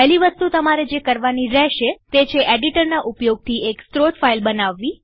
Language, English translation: Gujarati, The first thing you have to do is to create a source file using your editor